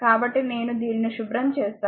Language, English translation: Telugu, So, let me let me clean this one